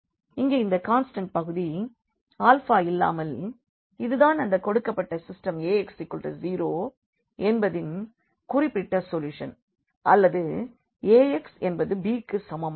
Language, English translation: Tamil, Here this constant part without alpha this is a one particular solution of given system Ax is equal to 0 or sorry Ax is equal to b